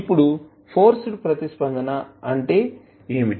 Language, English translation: Telugu, Now, what would be the forced response